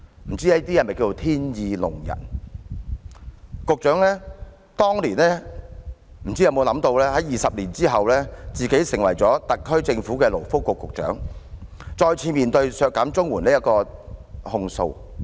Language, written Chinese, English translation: Cantonese, 不知這可否稱為天意弄人，局長當年又有否想到20年後，自己會成為特區政府的勞工及福利局局長，再次面對削減綜援的控訴。, I wonder if the Secretary had ever thought that he would become the Secretary for Labour and Welfare of the SAR Government 20 years later facing the accusation of an CSSA cut once again